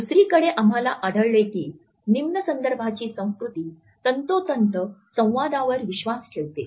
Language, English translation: Marathi, On the other hand we find that the low context culture believes in a precise communication